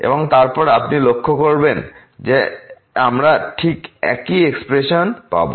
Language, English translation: Bengali, And then you will notice that we will get exactly the same expression